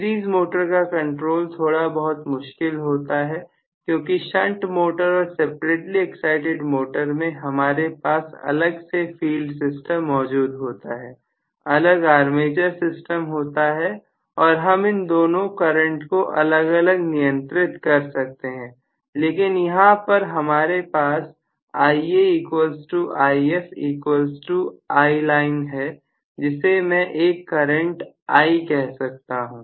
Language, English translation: Hindi, Series motor speed control is a little too tricky because in the case of shunt motor and separately excited motor we have a distinct field system, distinct armature system, we should be able to control the two currents you know independent of each other, most of the times, whereas here I am going to have Ia equal to If equal to I Line or I may call this as the common current I